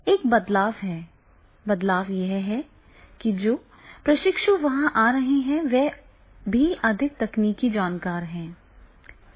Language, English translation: Hindi, Change is that is the trainees, those who are coming, they are also more tech savvy